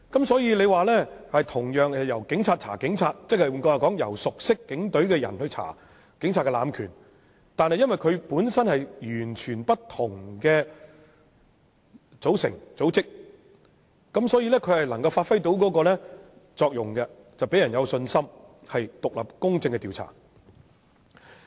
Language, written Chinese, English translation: Cantonese, 所以，同樣是由警隊人員調查警務人員，亦即由熟悉警隊的人調查警務人員濫權個案，但基於有關人員分別屬於完全不同的組織，所以能完全發揮作用，讓人有信心會作出獨立公正的調查。, Therefore although the same practice of investigating police officers by their peers is adopted and cases of alleged abuse of police power are investigated by people familiar with the work of the Police this can still safeguard the effectiveness of the investigation work and instill public confidence in the independence and impartiality of the investigations conducted given that the officers concerned are from completely different entities